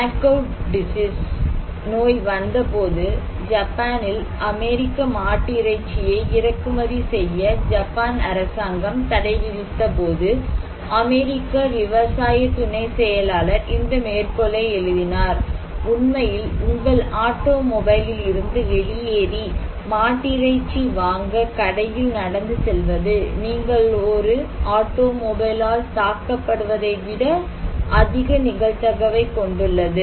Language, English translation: Tamil, When because of mad cow disease, when the Japan government ban importing US beef in Japan, the US agricultural undersecretary wrote this quote “in fact, the probably getting out of your automobile and walking into the store to buy beef has higher probability than you will hit by an automobile than, then the probability of any harm coming to you from eating beef”